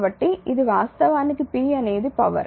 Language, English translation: Telugu, So, this is actually p is a power